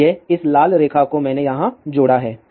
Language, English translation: Hindi, So, this red line; I have added over here